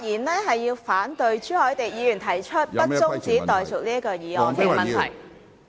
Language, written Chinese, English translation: Cantonese, 主席，我發言反對朱凱廸議員提出不中止待續的議案......, President I speak against Mr CHU Hoi - dicks motion that the debate be not adjourned